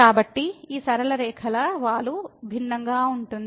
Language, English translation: Telugu, So, the slope of these straight lines are different